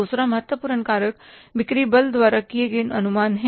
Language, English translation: Hindi, Second important factor is the estimates made by the sales force